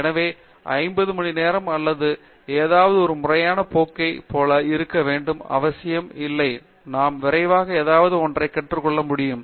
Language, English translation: Tamil, So, it does not had to be like a formal course for 50 hours or something, can I just learn something quickly, right